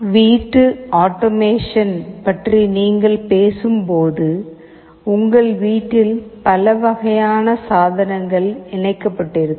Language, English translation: Tamil, When you talk about home automation, in your home there can be so many kind of devices connected